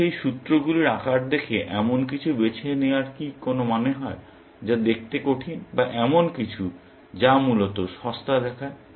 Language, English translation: Bengali, If by looking at the size of those formulaes, does it make sense to choose something, which looks harder or something, which looks cheaper, essentially